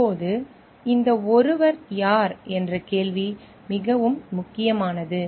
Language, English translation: Tamil, Now, this question who is this someone is very important